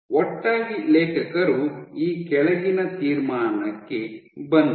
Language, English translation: Kannada, Together the authors came to the following conclusion